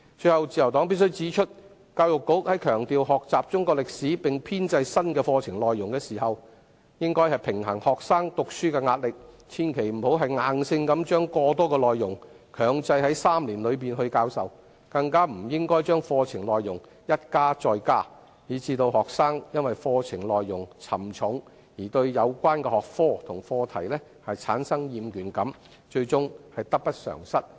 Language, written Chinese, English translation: Cantonese, 最後，自由黨必須指出，在強調學習中史並編製新課程內容時，教育局應該平衡學生讀書的壓力，千萬不要硬性把過多的內容強制在3年期內教授，更不應該把課程內容一加再加，致令學生因課程內容沉重而對有關的學科及課題產生厭倦感，最終得不償失。, Lastly the Liberal Party must point out while stressing the importance of learning Chinese history and compiling new curriculum content the Education Bureau should also balance this against the pressure of students in learning . Not only should it avoid mandatorily requiring the teaching of excessive contents within the three - year curriculum but should also refrain from increasing the curriculum contents time and again as students may become fed up with the heavy curriculum content and thus lose interest in the relevant subjects and topics therefore ending up with more loss than gain